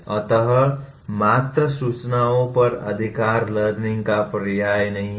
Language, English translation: Hindi, So possession of mere information is not synonymous with learning